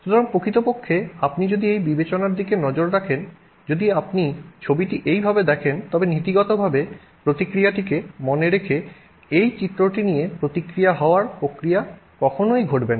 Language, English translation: Bengali, So in fact if you look at this consideration, if you look at the picture this way the you know the process of reaction occurring with this diagram in mind in principle the reaction should never occur